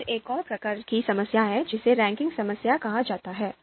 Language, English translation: Hindi, Then there is another type of problem called ranking problem